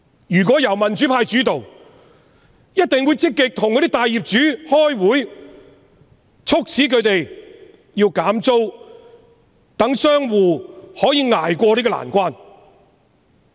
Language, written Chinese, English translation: Cantonese, 如果香港由民主派主導，一定會積極與大業主開會，促使他們減租，讓商戶可以捱過這個難關。, If Hong Kong was led by the pro - democracy camp we would definitely hold meetings with the major landlords proactively to call for lower rents so that shop operators could tide over this difficult period